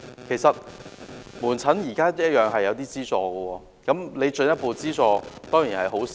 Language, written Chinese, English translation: Cantonese, 其實，向門診服務提供進一步資助當然是好事。, It is certainly a good thing to provide further subsidy for outpatient services